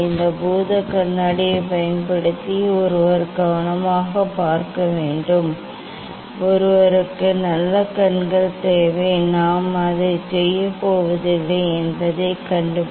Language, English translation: Tamil, using this magnifying glass, one has to see carefully; one should need very good eyes find out I am not going to do that